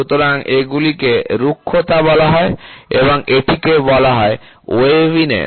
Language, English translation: Bengali, So, these are called as roughness and this is called as waviness